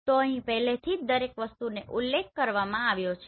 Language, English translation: Gujarati, So here already everything is mentioned